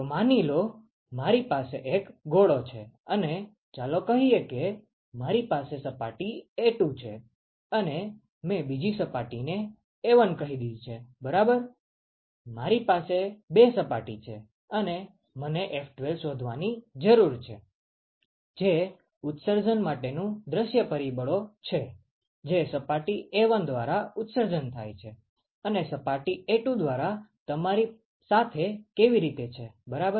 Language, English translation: Gujarati, So, suppose, ok; so I have a sphere and let us say I have a surface A2 and I have let us say another surface A1 ok, I have two surfaces and I need to find F12, which is the view factor for emission which is emitted by surface A1 and what how is that with you by surface A2 ok